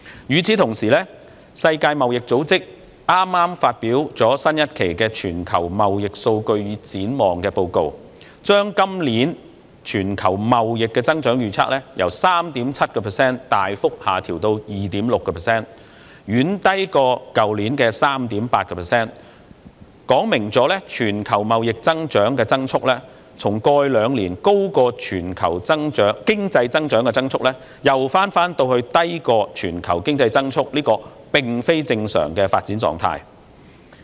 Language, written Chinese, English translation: Cantonese, 與此同時，世界貿易組織剛剛發表最新一期《全球貿易數據與展望》報告，將今年全球貿易增長預測由 3.7% 大幅下調至 2.6%， 遠低於去年的 3.8%， 說明全球貿易增速從過去兩年的高於全球經濟增速，又返回低於全球經濟增速這個非正常的發展狀態。, Meanwhile the World Trade Organization has just released the latest report on Trade Statistics and Outlook substantially lowering the forecast of global trade growth this year from 3.7 % to 2.6 % far lower than 3.8 % of last year . It illustrates that global trade growth has reverted from being higher than the global economic growth rate in the past two years to an abnormal state of development of being lower than such a rate